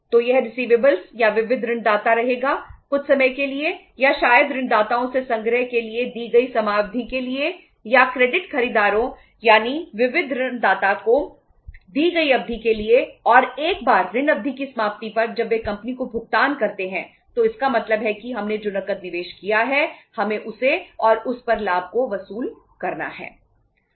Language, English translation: Hindi, So that will remain receivable or sundry debtor for some period of time or maybe the time period given for say uh for the collection of the debtors or time period allowed to the buyers on credit that is to the sundry debtors and once on the expiry of the credit period when they make the payment to the company so it means the total cash which we invested we have to recover that plus profit on that